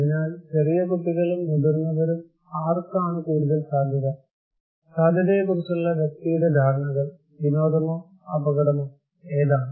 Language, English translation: Malayalam, So, young kids and old seniors, so the probability; the person’s perceptions of the probability; fun or danger, which one